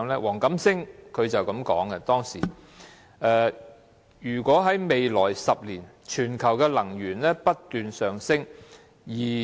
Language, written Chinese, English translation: Cantonese, 黃錦星當時這樣說："未來10年全球能源需求上升。, Mr WONG Kam - sing said back then In the coming decade world demand for energy will rise as the global population increases